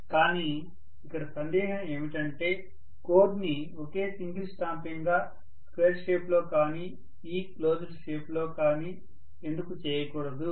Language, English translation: Telugu, The question was, why don’t we make the core as one single stamping which is in square shape or in E closed shape